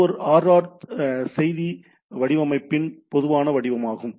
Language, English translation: Tamil, So, this comprises a RR message format